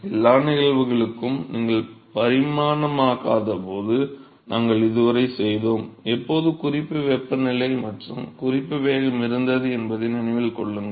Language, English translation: Tamil, Remember that when you non dimensionalise for all the cases, we did so far there was always a reference temperature and reference velocity